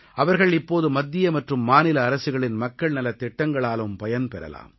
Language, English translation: Tamil, They will now be able to benefit from the public welfare schemes of the state and central governments